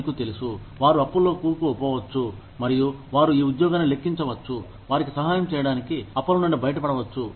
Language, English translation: Telugu, You know, they could be in debt, and they could be counting on this job, to help them, get out of debt